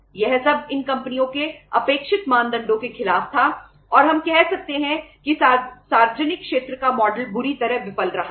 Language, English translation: Hindi, That was all against the expected uh norms from these companies and we can say that public sector model has miserably failed